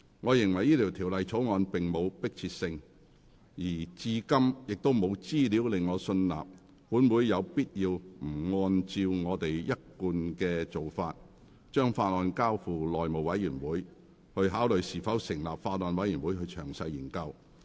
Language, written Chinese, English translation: Cantonese, 我認為該條例草案並無迫切性，而至今亦沒有資料令我信納，本會有必要不按照一貫做法，把法案交付內務委員會，考慮是否成立法案委員會詳細研究。, I consider that the Bill is not urgent and so far there is no information to convince me that this Council should depart from the established practice of referring the Bill to the House Committee for considering whether a Bills Committee should be formed for detailed deliberation